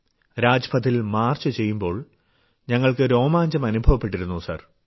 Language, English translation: Malayalam, It was while marching on Rajpath, we had goosebumps